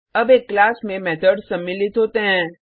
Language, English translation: Hindi, Now a class also contains methods